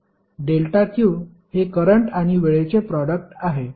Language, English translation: Marathi, delta q is nothing but product of current and time